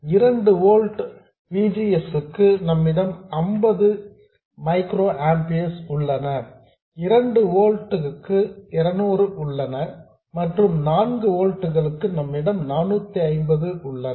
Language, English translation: Tamil, For a VGS of 2 volts we have 50 micro amperors, for a VGS of 2 volts we have 50 micro amperers, for 3 volts we have 200 and for 4 volts we have 450